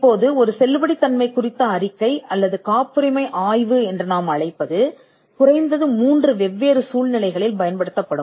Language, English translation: Tamil, Now, a validity report or what we call a patentability study would be used in at least 3 different situations